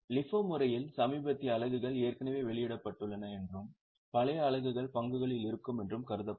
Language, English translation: Tamil, In LIFO method, it will be assumed that the latest units are already issued and older units will be there in the stock